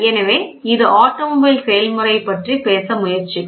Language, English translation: Tamil, So, this will try to talk about the process or the automobile